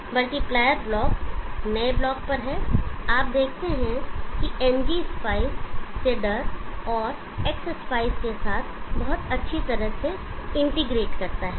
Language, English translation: Hindi, It is multiplier block is on new block you see that NG spice integrates very nicely with the inserter and X spice